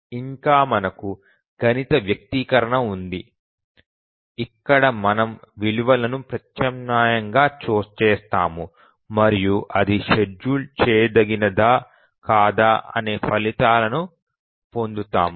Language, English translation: Telugu, Can we have a mathematical expression where we substitute values and then we get the result whether it is schedulable or not